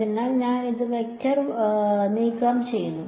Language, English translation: Malayalam, So, I have this remove the vector side